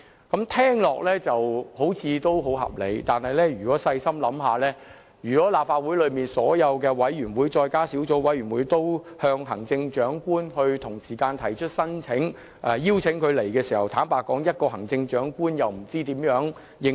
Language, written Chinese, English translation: Cantonese, 這聽起來好像很合理，但細心想想，如果立法會轄下所有委員會和小組委員會同時邀請行政長官出席其會議，行政長官怎能應付？, This may sound reasonable but upon careful consideration if the Chief Executive is invited by all committees and subcommittees of the Legislative Council to attend meetings how can she cope with the workload?